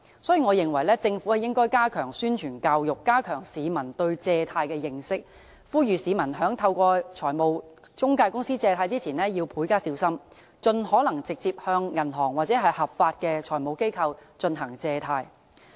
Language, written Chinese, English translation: Cantonese, 所以，我認為政府應加強宣傳教育，加強市民對借貸的認識，呼籲市民在透過財務中介公司借貸前要加倍小心，盡可能直接向銀行或合法的財務機構進行借貸。, Therefore I think that the Government should enhance publicity and education enrich the publics knowledge about borrowing and urge members of the public to exercise more caution before raising loans through financial intermediaries and raise loans direct from banks or lawful financial institutions by all means